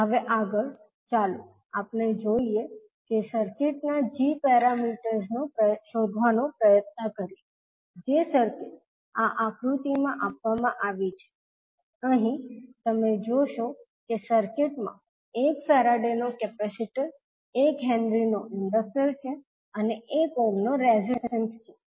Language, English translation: Gujarati, Now next, let us try to find the g parameters of the circuit which is given in this figure, here you will see that the circuit is having inductor of one henry capacitor of 1 farad and one resistance of 1 ohm